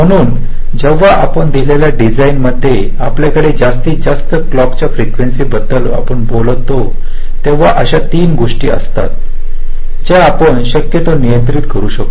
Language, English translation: Marathi, ok, so when we talk about the maximum clock frequency that you can have in a given design, there are three things that we can possibly control